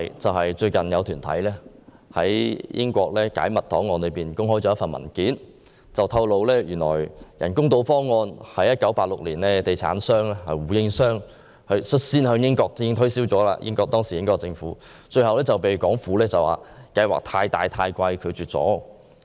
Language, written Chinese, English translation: Cantonese, 最近，有團體在英國解密檔案中發現一份文件，當中顯示人工島方案是地產商胡應湘在1986年率先向英國政府推銷的，但方案最後被港府以過於龐大和昂貴為由拒絕。, In a document recently found by an organization in the United Kingdoms declassified files it was stated that the artificial islands project was first proposed to the British Government by property developer Gordon WU in 1986 . The project was rejected by the Hong Kong Government on the grounds that the scale was too big and the cost too high